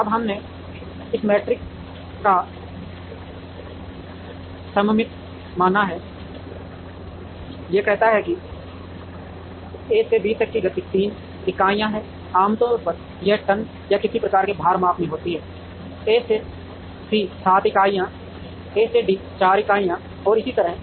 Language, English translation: Hindi, Now, we have assumed this matrix to be symmetric, this says that movement from A to B is 3 units, usually it is in tons or some kind of weight measurement, A to C is 7 units A to D is 4 units and so on